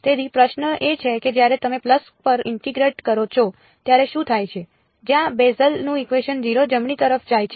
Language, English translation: Gujarati, So, the question is what happens when you integrate over a pulse where the Bessel’s function goes to 0 right